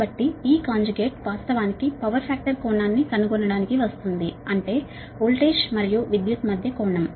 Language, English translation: Telugu, this conjugate actually to capture the power factor is to capture the angle between voltage and current, that is the power factor angle